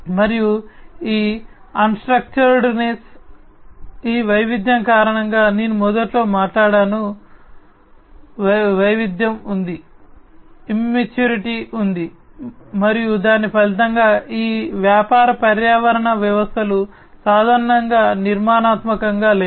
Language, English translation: Telugu, And this unstructuredness, it arises because of this diversity that I talked about at the very beginning, there is diversity, there is immaturity, and as a result of which these business ecosystems, are typically unstructured